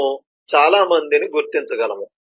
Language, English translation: Telugu, we could identify several others